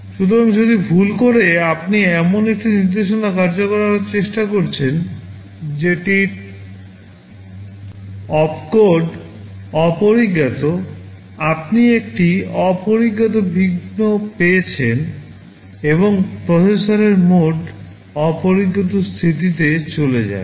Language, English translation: Bengali, So, if by mistake you are trying to execute an instruction whose opcode is undefined, you get an undefined interrupt and the processor mode goes to undefined state und